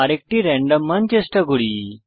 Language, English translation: Bengali, Let us try with another random value